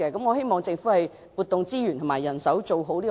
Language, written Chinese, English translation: Cantonese, 我希望政府調撥資源和人手，做好基層健康服務。, I hope the Government can redeploy its resources and manpower for the satisfactory provision of primary health care services